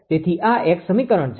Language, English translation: Gujarati, So, ah this is one equation